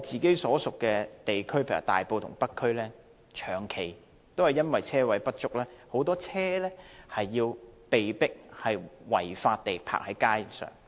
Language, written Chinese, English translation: Cantonese, 在我的選區大埔和北區，長期因為車位不足，很多車輛被迫違法停泊在街上。, In my constituencies Tai Po and North District owing to the longstanding insufficiency of parking spaces many vehicles are forced to park illegally on the roadside